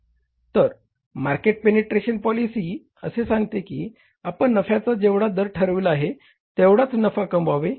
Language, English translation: Marathi, So, their market penetration policy says that you earn the same amount of profit